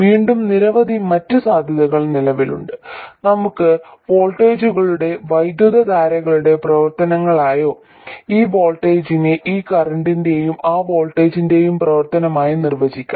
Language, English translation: Malayalam, We could define the voltages as functions of currents or this voltage as a function of this current and that voltage and so on